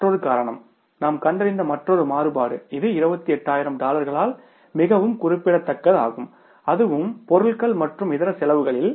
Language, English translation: Tamil, Another reason is another variance we have found out which is very significant by $28,000 and that too in the supplies and miscellaneous expenses